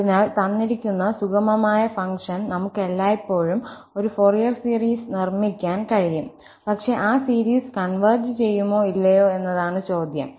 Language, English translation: Malayalam, So, for a given piecewise smooth function, we can always construct a Fourier series, but the question is whether that series will converge or not